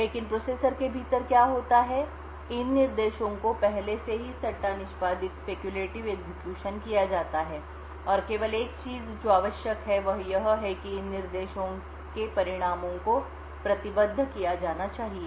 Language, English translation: Hindi, But what happens within the processor is that these instructions are already speculatively executed and the only thing that is required to be done is that the results of these instructions should be committed